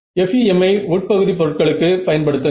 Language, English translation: Tamil, So, use FEM for the interior objects and use